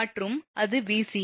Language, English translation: Tamil, And it Vca